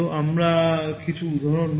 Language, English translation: Bengali, We will take some examples